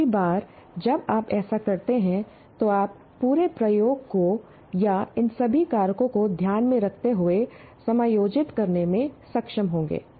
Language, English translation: Hindi, And then second time you do, you will be able to adjust many, your entire experiment or your initiative taking all these factors into consideration